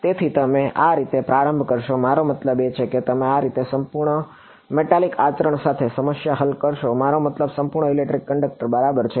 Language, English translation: Gujarati, So, this is how you would start, I mean this is how you would solve problem with a perfect metallic conduct I mean perfect electric conductor ok